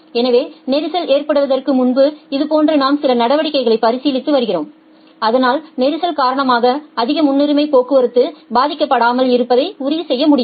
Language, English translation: Tamil, So, this is like before the congestion actually happens we are considering certain measures so that we can ensure that the high priority traffic does not get affected due to congestion